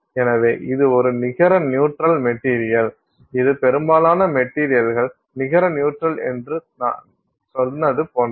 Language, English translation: Tamil, So, this is for a net neutral material, for net neutral material, which is what like I said most materials are net neutral, net neutral